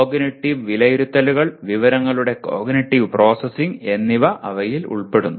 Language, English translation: Malayalam, They involve cognitive processing of the information making cognitive judgments and so on